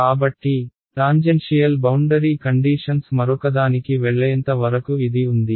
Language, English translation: Telugu, So, this is as far as tangential boundary conditions go the other